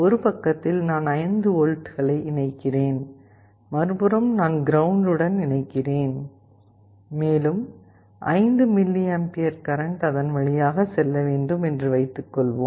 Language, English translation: Tamil, And let us say on one side I connect 5 volts, on the other side I connect ground, and I want a current of, let us say, 5mA to pass through it